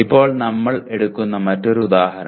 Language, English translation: Malayalam, Now another one example that we pick up